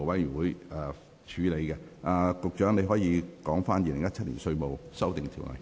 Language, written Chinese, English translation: Cantonese, 局長，你現在可以動議二讀《2017年稅務條例草案》。, Secretary you may now move the Second Reading of the Inland Revenue Amendment No . 5 Bill 2017